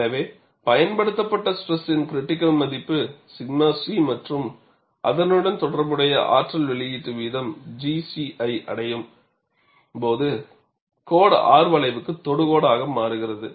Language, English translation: Tamil, So, when the value of the applied stress reaches the critical value sigma c, and the corresponding energy release rate is G c, the line becomes tangent to the R curve